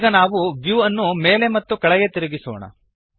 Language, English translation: Kannada, Now we rotate the view up and down